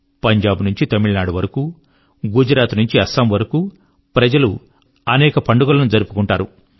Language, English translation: Telugu, From Punjab to Tamil Nadu…from Gujarat to Assam…people will celebrate various festivals